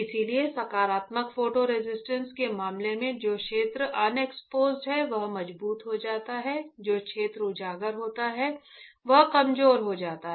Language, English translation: Hindi, So, in case of positive photo resist the area which is unexposed gets stronger, the area which is exposed becomes weaker